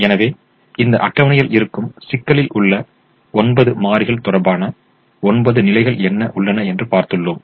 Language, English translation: Tamil, so this table has nine positions corresponding to the nine variables that are there in the problem